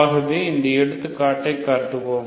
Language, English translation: Tamil, So will consider this example